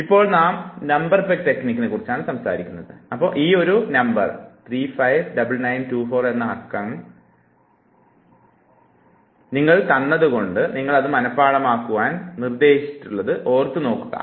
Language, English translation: Malayalam, Right now we are talking about number peg technique and imagine that this is the number that is given to you and you are told that you have to memorize it; 359924 and this might continue